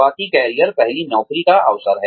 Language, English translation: Hindi, Early career, impact of the first job